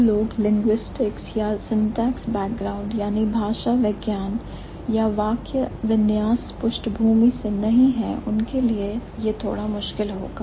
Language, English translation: Hindi, So, one, those who do not come from linguistics or syntax background, it would be a little difficult for you